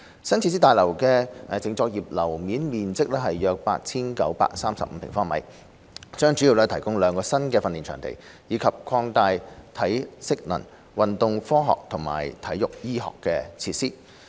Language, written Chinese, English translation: Cantonese, 新設施大樓的淨作業樓面面積約 8,935 平方米，將主要提供兩個新的訓練場地，以及擴大體適能、運動科學及運動醫學的設施。, With a net operating floor area of about 8 935 sq m the new facilities building will mainly provide two new training venues and expand the facilities on strength and conditioning sports science and sports medicine